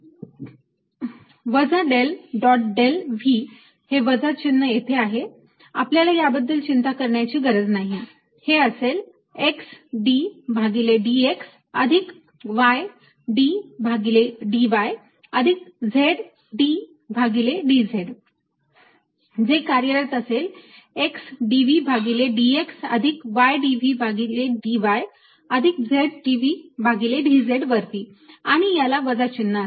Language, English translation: Marathi, the minus sign is there, we don't worry about it is x d by d x plus y d by d y plus z d by d z, acting on x, d v by d x plus y d v by d v plus z, d v by d z, which is nothing but minus